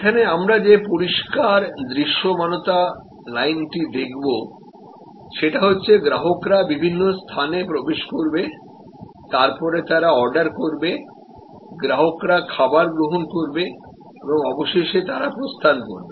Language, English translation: Bengali, So, we have this line of visibility, we have this whole process from customers entry to the various place, where there is ordering, receiving of the food and consumption of the food and then, the customers exit